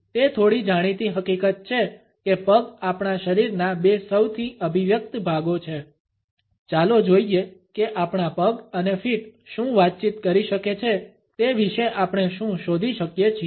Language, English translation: Gujarati, It is a little known fact that the feet are two of the most expressive parts of our bodies; let us see what we can discover about what our feet and legs communicate